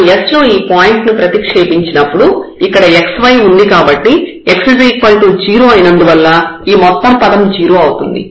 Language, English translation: Telugu, So, when we substitute in this s, since there is a term x and y here in the product when x is 0 the whole term will become 0